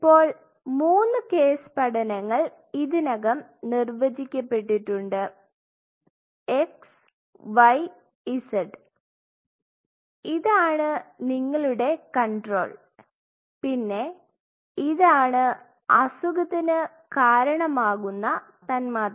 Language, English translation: Malayalam, So, our three cases studies are already defined x y z and this is your control, and this one this particular one this one could be a something which causes